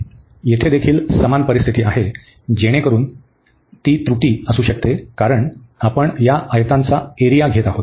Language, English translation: Marathi, Here also the same situation, so they could be in error, because we are taking the area of these rectangles